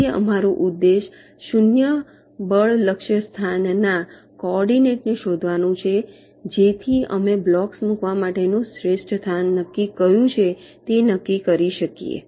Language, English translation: Gujarati, so our objective is to find out the coordinate of the zero force target location so that we can decide which is the best location to place that block